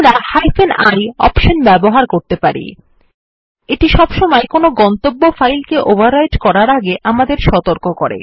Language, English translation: Bengali, We can also use the ioption, this always warns us before overwriting any destination file